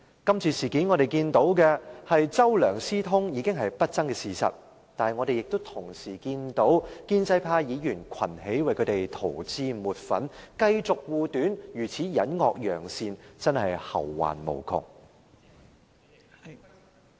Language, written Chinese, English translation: Cantonese, 今次事件，我們看到"周梁"私通已是不爭的事實，我們同時亦看到，建制派議員群起為他們塗脂抹粉，繼續護短，如此隱惡揚善，真是後患無窮......, In this incident it is an undisputable fact that CHOW and LEUNG had colluded and pro - establishment Members have scrambled to whitewash their wrongdoings . Their efforts in concealing their faults and praising their good deeds will lead to endless troubles